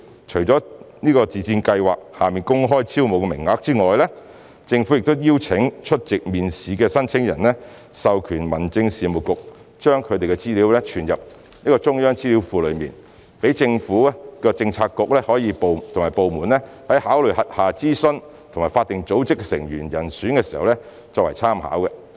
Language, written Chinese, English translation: Cantonese, 除了在自薦計劃下公開招募的名額外，政府亦邀請出席面試的申請人授權民政事務局把他們的資料存入中央資料庫，讓政府的政策局和部門在考慮轄下諮詢及法定組織的成員人選時作參考之用。, Apart from the open recruitment quota under MSSY the Government also invites applicants who have attended the recruitment interview to authorize the Home Affairs Department to save their information in the central database . The database serves as a reference for relevant bureauxdepartments to consider the appointment to their own advisory and statutory bodies